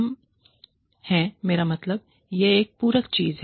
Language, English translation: Hindi, We are, i mean, it is not a complementary thing